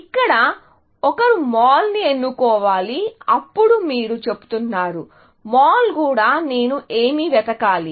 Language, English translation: Telugu, Whereas here, one should choose the mall, then you are saying, even the mall; what else should I search for